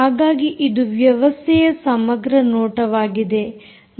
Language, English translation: Kannada, ok, so this is ah overall view of the system